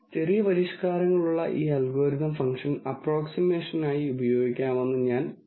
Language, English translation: Malayalam, Now I also said this algorithm with minor modifications can be used for function approximation